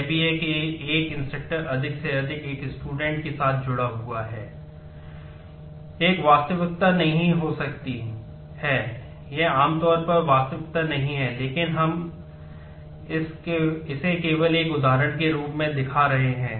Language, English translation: Hindi, This may not be a reality this usually is not the reality, but this we are just showing this as an example